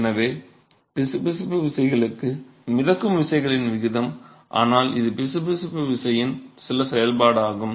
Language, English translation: Tamil, So, that is the ratio of buoyancy forces to the viscous forces yeah, but this just some functions of viscous force